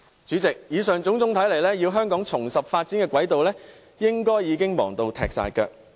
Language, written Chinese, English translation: Cantonese, 主席，以上種種所見，香港要重拾發展軌道，應該已經忙得不可開交。, President it can be seen from the above that Hong Kong is already preoccupied with the question of how to return to its development track